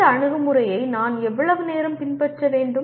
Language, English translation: Tamil, How much time should I follow this approach